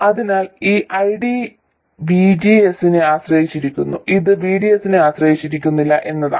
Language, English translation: Malayalam, So the point is this ID depends depends on VGS, it does not depend on VDS